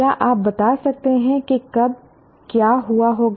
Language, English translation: Hindi, Can you explain what must have happened when